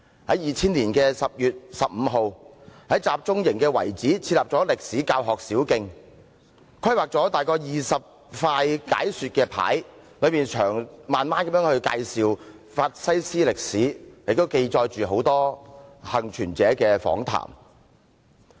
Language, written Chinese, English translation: Cantonese, 在2000年10月15日，在集中營遺址設立歷史教學小徑，規劃約20塊解說牌，詳細介紹法西斯歷史，也記載大量幸存者的訪談。, On 15 October 2000 they opened a memorial path at the site of the concentration camp . About 20 explanatory signs were planned to be erected to give a detailed description of the fascist history and present records of interviews with survivors